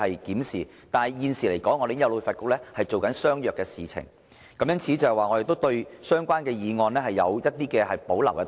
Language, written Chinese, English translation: Cantonese, 但是，就現時來說，我們已經有旅發局做相若的事情，因此我們對相關修正案有保留。, That said as we already have HKTB to take up similar tasks for the time being we have reservations about the amendment concerned